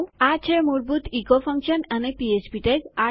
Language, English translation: Gujarati, Okay, thats the basics of the echo function and the PHP tags